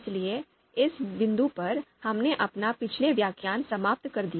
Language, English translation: Hindi, So at this point, we ended our previous lecture